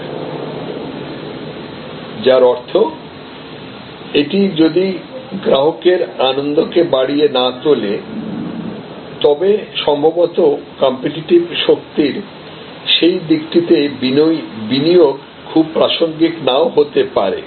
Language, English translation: Bengali, So, which means that if it is not going to enhance customer delight, then possibly investment in that aspect of the competitive strength may not be very relevant